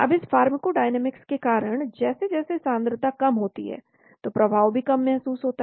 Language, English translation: Hindi, now because of this pharmacodynamics as the concentration is decreased the effect is also felt low